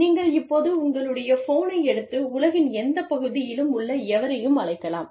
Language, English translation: Tamil, You can, now pick up the phone, and call up anybody, in any part of the world